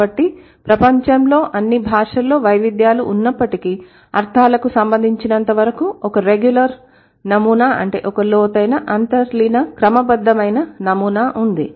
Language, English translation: Telugu, So, in spite of all the diversities of the languages in the world, there is a regular pattern, there is an underlying deep, regular pattern as far as meanings are concerned